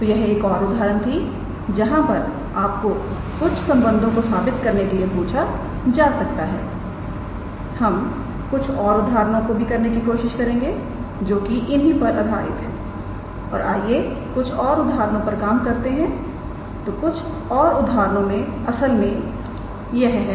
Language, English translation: Hindi, So, this is one another example where you are asked to prove some relations we might may try to include examples motivated from this and now let us work out some examples; so some more examples actually